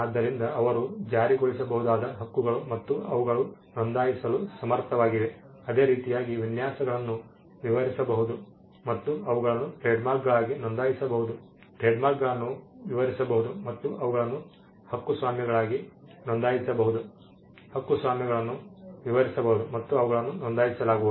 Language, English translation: Kannada, So, rights they are enforceable and they are capable of being registered the same is for design, designs can be described and they can be registered as trademarks, Trademarks can be described and they can be registered as copyrights, Copyrights can be described and they can be registered